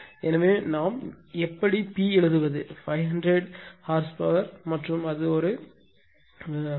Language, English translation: Tamil, So, how I writing P is equal to 500 horsepower and it is 7 power 0